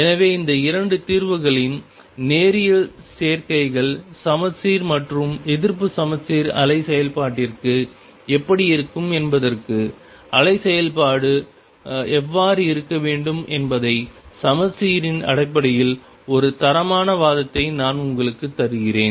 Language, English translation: Tamil, So, I give you a qualitative argument based on symmetry how the wave function should look like as to what it linear combinations of these 2 solutions would be for the symmetric and anti symmetric wave function